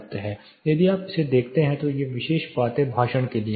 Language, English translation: Hindi, If you look at this side, these particular things are for speech